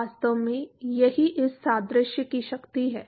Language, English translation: Hindi, In fact, that is the power of this analogy